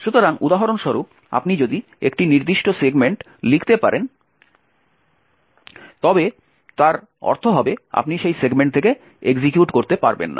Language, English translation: Bengali, So, for example if you can write to a particular segment it would mean that you cannot execute from that segment